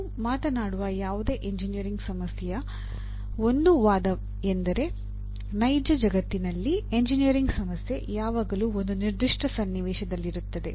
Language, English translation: Kannada, One of the issues of any engineering problem that you talk about, a real world engineering problem is always situated in a given context